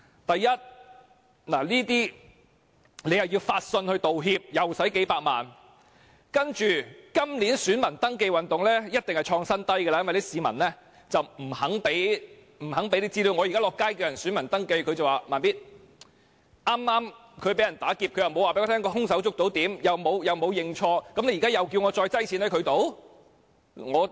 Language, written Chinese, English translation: Cantonese, 第一，發信致歉會花數百萬元；其次，今年選民登記運動登記人數一定創新低，因為市民不願意提交資料，我現在在街上鼓勵市民登記做選民，市民表示：他們剛剛被打劫，又未有表示是否捉到兇手，又沒有認錯，現在叫我再放錢在他們處？, First it costs millions of dollars to send apology letters; and second the number of new registered voters of this years Voter Registration Campaign will definitely hit a record low because people are not willing to supply their information . When I encouraged people to register as voters on the street they told me they have just gotten stolen yet they have neither announced whether the thief was caught nor admitted their fault now you are asking me to place money with them again?